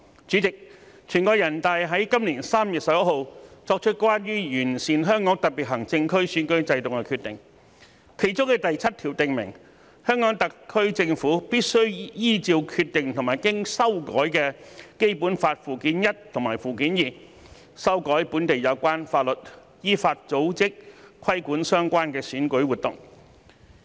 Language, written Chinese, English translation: Cantonese, 主席，全國人大於今年3月11日作出關於完善香港特別行政區選舉制度的決定，當中的第七條訂明，香港特區政府必須依照《決定》和經修改的《基本法》附件一及附件二，修改本地有關法律，依法組織、規管相關選舉活動。, President the Decision of the National Peoples Congress on Improving the Electoral System of the Hong Kong Special Administrative Region was made on 11 March this year and Article 7 of the Decision stated that in accordance with the decision and the Basic Laws Annex I and Annex II amended by the NPC Standing Committee the HKSAR shall amend relevant local laws and organize and regulate election activities accordingly